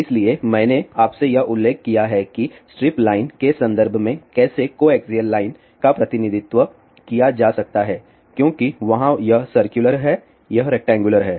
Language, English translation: Hindi, So, I did mention to you how coaxial line can be represented in terms of strip line because there it is circular here it is rectangular